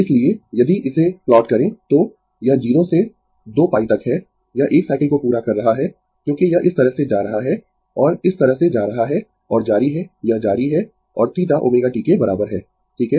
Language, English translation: Hindi, So, if you plot it so, this is from 0 to 2 pi, it is completing 1 cycle right because this is going like this and going like this and continuous it continuous and theta is equal to omega t right